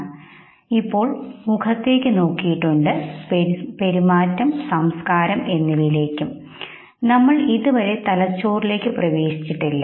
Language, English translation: Malayalam, We have till now looked at the face, we have till now looked at the behavior, the culture, we have not still entered into the brain